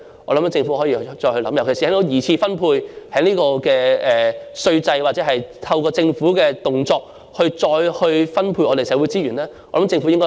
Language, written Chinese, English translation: Cantonese, 我認為政府可以再思考一下，特別是從稅制或透過政府的動作進行二次分配來再分配社會資源。, I think the Government can give further thoughts to this and particularly in respect of making the secondary distribution through the tax regime or other government initiatives to redistribute social resources I think the Government can do more